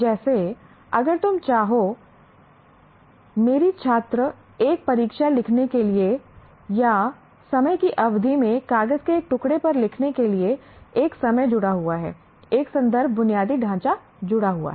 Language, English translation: Hindi, Like if you want my student to write an examination or write on a piece of paper over a period of time, there is a time associated, there is a context infrastructure is associated, and so on